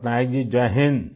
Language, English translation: Hindi, Patnaik ji, Jai Hind